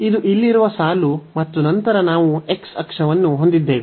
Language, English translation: Kannada, So, this is the line here and then we have the x axis